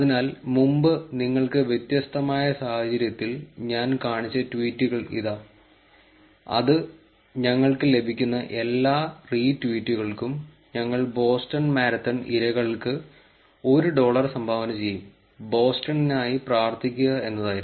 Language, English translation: Malayalam, So, here are the tweets that I have shown you in a different context before, which is for every retweet we receive ,we will donate 1 dollar to Boston Marathon victims, pray for Boston